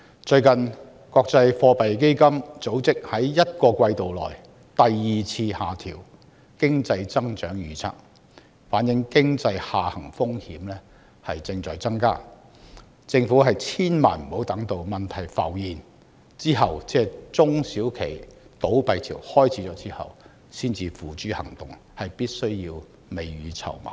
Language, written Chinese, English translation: Cantonese, 最近，國際貨幣基金組織在一個季度內第二次下調經濟增長預測，反映經濟下行風險正在增加，政府千萬不要等到問題浮現，即中小企倒閉潮開始，才採取行動，必須未雨綢繆。, Recently the International Monetary Fund has cut its economic growth forecast for the second time in a single quarter implying an increasing risk of economic decline . The Government must hence prepare for the risk instead of waiting for problems to surface . It cannot afford to take action only when the wave of SME closures comes